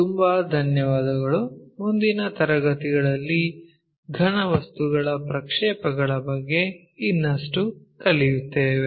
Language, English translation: Kannada, So, thank you very much and in the next class we will learn more about this projection of solids